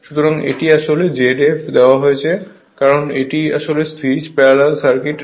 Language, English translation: Bengali, So, this is actually it is given Z f right because this is actually series parallel circuit